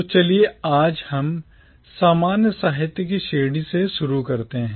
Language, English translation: Hindi, So today let us start with the category of commonwealth literature